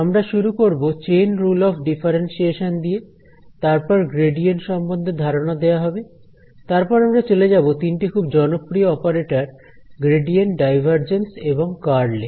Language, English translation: Bengali, We will start with the Chain Rule of Differentiation, introduce the idea of the gradient, move to the three most popular operators that we will find the gradient, divergence and the curl